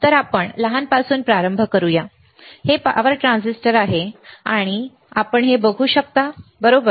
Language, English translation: Marathi, So, let us start from the smaller one, this is the power transistor, can you see a power transistor, right